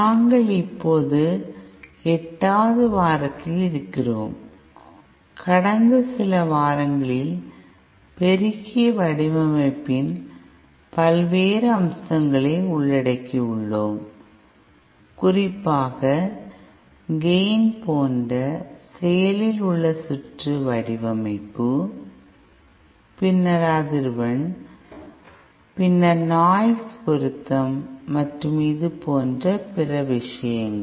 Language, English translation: Tamil, We are now in week eight and in the past few weeks we have been covered covering the various aspects of amplifier design, especially active circuit design like gain, then the frequency response then noise, matching and other things like that